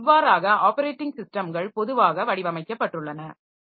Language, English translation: Tamil, So, that is how the operating systems are generally designed